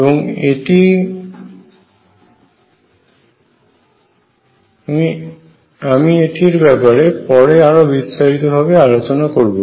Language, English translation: Bengali, And I will talk about it more later